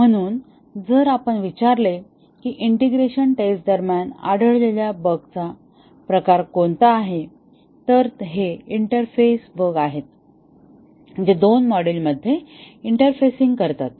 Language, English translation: Marathi, So, if we ask that what is the type of bug that is detected during integration testing, these are the interface bugs interfacing between two modules